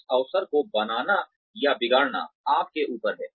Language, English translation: Hindi, It is up to you, to make or mar, this opportunity